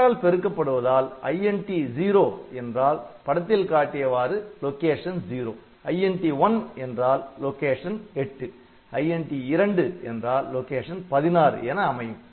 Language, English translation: Tamil, So, INT 0 it will be coming to the location 0, INT 1 will come to the location 8, INT INT 2 will come to the location 16